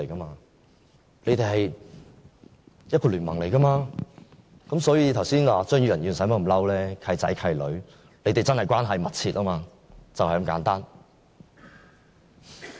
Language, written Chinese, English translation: Cantonese, 他們是聯盟，所以張宇人議員剛才無需動怒，"契仔契女"，他們的關係真的密切，就是這麼簡單。, They are in an alliance . In this sense there is no need for Mr Tommy CHEUNG to feel irritated . The godsons and god - daughters are in close relationship